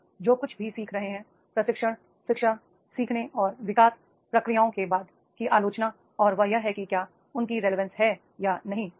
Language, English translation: Hindi, Whatever we are learning, the criticism of training, education, learning and development is processes that is either do they have the relevance or not